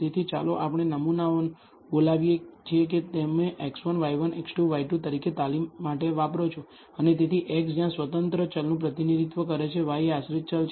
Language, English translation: Gujarati, So, let us call the samples that you use for training as x 1, y 1, x 2, y 2 and so on where x represents the independent variable, y is the dependent variable